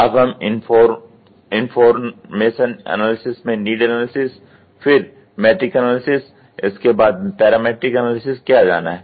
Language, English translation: Hindi, So, information analysis; so, this need analysis; then matrix analysis; then parametric analysis